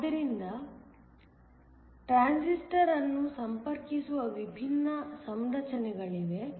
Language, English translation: Kannada, So, there are different configurations in which a transistor is connected